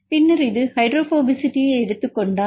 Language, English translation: Tamil, 20 then this is for example, if we take the hydrophobicity